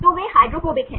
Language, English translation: Hindi, So, they are hydrophobic